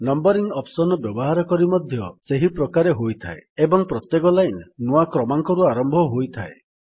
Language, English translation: Odia, Numbering is done in the same way, by selecting the numbering option and every line will start with a new number